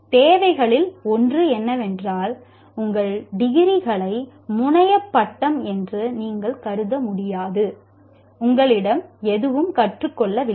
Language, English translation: Tamil, So, one of the requirements is you cannot consider your degree is the terminal degree and you don't have to learn anything